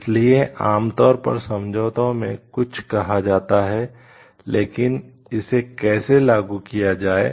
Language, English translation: Hindi, So, something generally stated in the agreement, but how to apply it